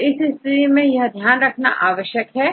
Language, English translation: Hindi, To take care of this conditions